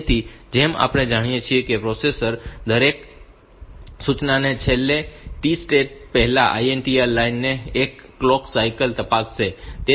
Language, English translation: Gujarati, So, as we know, the microprocessor will check the INTR line one clock cycle before the last T state of each instruction